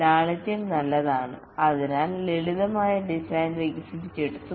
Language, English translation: Malayalam, Simplicity is good and therefore the simplest design is developed